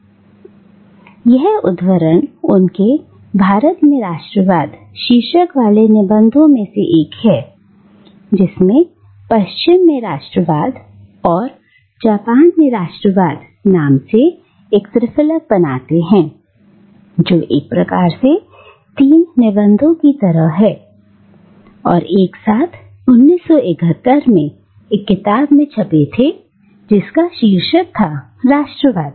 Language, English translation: Hindi, ” This quotation is from his essay titled "Nationalism in India," which, along with two other pieces titled "Nationalism in the West" and "Nationalism in Japan," forms a kind of a triptych, which were, sort of these three essays, were printed together in 1971 in the form of a book which was titled Nationalism